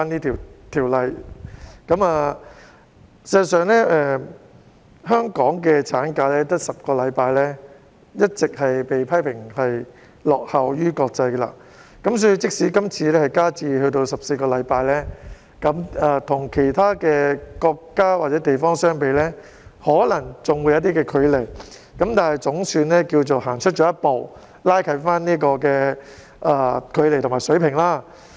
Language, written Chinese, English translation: Cantonese, 事實上，香港的產假只有10周，一直也被批評說是落後於國際，所以即使今次修訂增加至14周，與其他國家或地方相比可能仍有些距離，但總算踏出了一步，拉近了距離和水平。, As a matter of fact the maternity leave in Hong Kong has been criticized for lagging behind the international community as it is only a 10 - week leave . For that reason although it will be extended to 14 weeks through this amendment there is still a gap between Hong Kong and other countries or regions . But anyway we have made a step forward by closing the gap